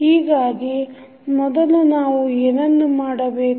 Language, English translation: Kannada, So, first thing what we have to do